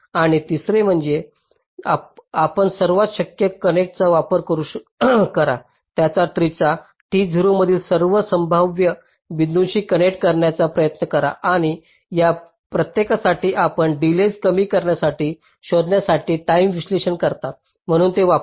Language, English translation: Marathi, and the third one says: you try all possible connections, try to connect to all possible points in that tree, t zero, and for each of these you do timing analysis to find out that for which the delay is minimum